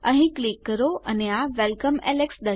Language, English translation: Gujarati, Click here and Welcome, alex.